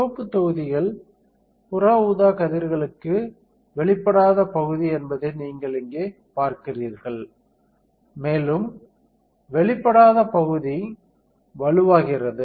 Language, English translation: Tamil, You see here the red blocks are the area which is not exposed to UV, and the area which is not exposed becomes stronger